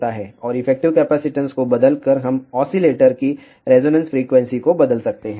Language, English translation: Hindi, And by changing the effective capacitance, we can change the resonance frequency of the oscillator